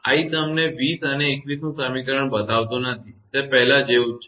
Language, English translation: Gujarati, I am not showing you equation 20 and 21; same as before